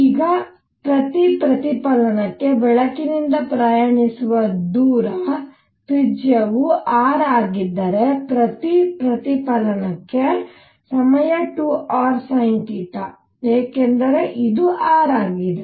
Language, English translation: Kannada, Now for each reflection the distance travelled by light is, if the radius is r then time per reflection is 2 r sin theta because this is r this is theta